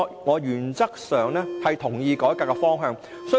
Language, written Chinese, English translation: Cantonese, 我原則上同意改革的方向。, I agree in principle to the reform direction